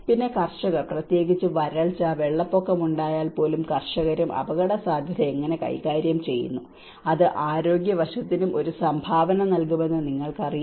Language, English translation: Malayalam, Then, the farmers risk management especially in the event of droughts, even the event of floods, how the farmers also manage the risk, you know that will also have a contribution to the health aspect